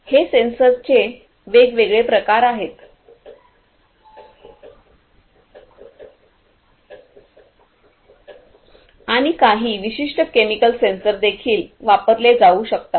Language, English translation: Marathi, So, these are these different types of sensors and also some you know specific chemical sensors could also be used